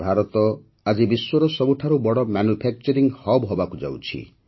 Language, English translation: Odia, Today India is becoming the world's biggest manufacturing hub